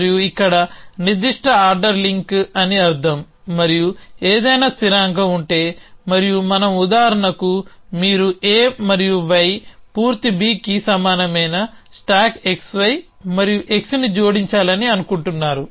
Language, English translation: Telugu, And means certain ordering link here and if there any constant and we for example, you make want to say add stack x y an x equal to A and Y full B